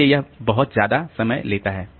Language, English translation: Hindi, So, that takes a lot of time